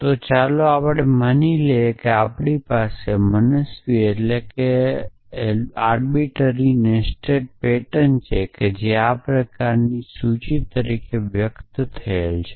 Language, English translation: Gujarati, So, let us assume that we have an arbitrary nested pattern which is express as a list of this kind